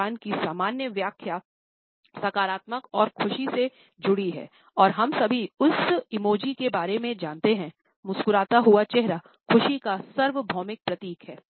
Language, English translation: Hindi, Normal interpretation of a smile is associated with positivity and happiness, and all of us are aware of that emoji, the smiling face the universal symbol of happiness